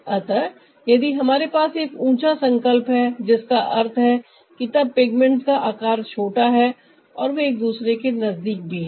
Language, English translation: Hindi, so if we have a higher resolution, that means then a size of pigments are smaller and they are also close to each other